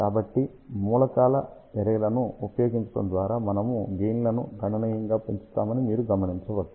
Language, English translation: Telugu, So, you can see that by using arrays of the elements, we can increase the gain significantly